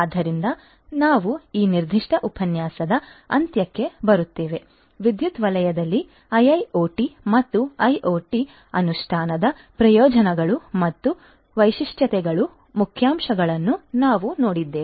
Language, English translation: Kannada, So, we come to the end of this particular lecture, we have seen highlights of the benefits and features of implementation of IIoT and IoT in the power sector